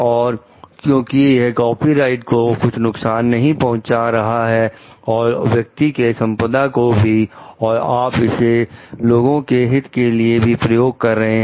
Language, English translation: Hindi, And because it is not like harming the copyright and the property of the property right of the person and you can use it for public interest also